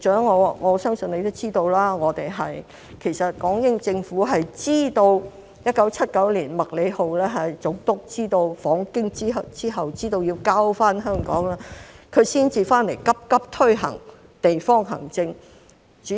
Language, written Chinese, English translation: Cantonese, 我相信局長也知道，港英政府在1979年麥理浩總督訪京之後知道要交回香港，才急急推行地方行政。, I believe the Secretary is also aware that the British Hong Kong Government hastily implemented district administration in 1979 after Governor MACLEHOSE learnt during his visit to Beijing that Hong Kong had to be returned